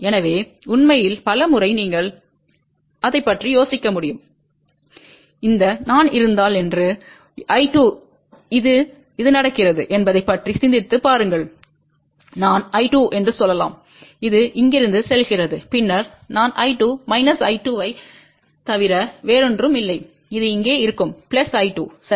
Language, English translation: Tamil, In fact, many a times you can just think about it that if this is I 2 which is coming in just think about this is current let us say I 2 dash and which is leaving here, then I 2 dash will be nothing but minus I 2 and that will be here then plus I 2 dash, ok